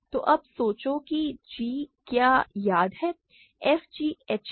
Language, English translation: Hindi, So, now, think of what g is remember, f is g h